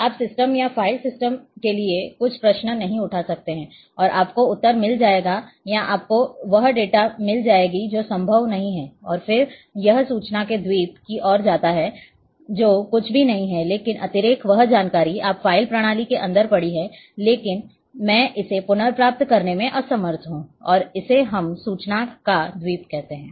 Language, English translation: Hindi, You cannot just raise certain questions to the system or file system and you will get the answer or you will get the data no it is not possible and then I leads to island of information it is nothing, but the redundancy, that information is lying in your file system, but i am unable to retrieve it and this is what we call island of information